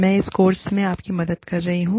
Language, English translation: Hindi, I am helping you, with this course